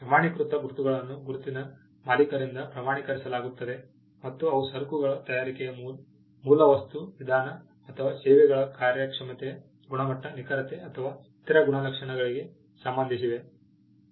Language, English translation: Kannada, Certification marks are certified by the proprietor of the mark and they pertain to origin material mode of manufacture of goods or performance of services, quality, accuracy or other characteristics